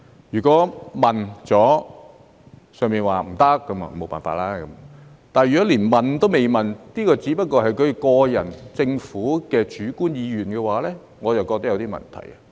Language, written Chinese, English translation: Cantonese, 如果已經問過，"上面"說"不行"，那就沒法子了；但如果連問也沒問一句，只是局長個人或政府主觀意願的話，我便覺得有點問題。, Yet if the Government has never said a word about this but gave its reply merely based on the subjective will of the Secretary or the Government I do not think that is appropriate